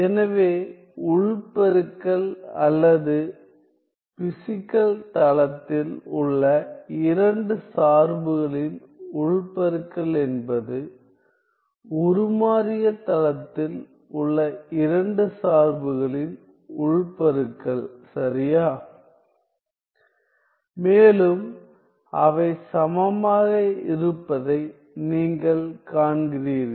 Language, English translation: Tamil, So, you see that the inner product or the inner product of the 2 functions in the physical plane, is the inner product of the 2 function in the transformed plane right and they are equal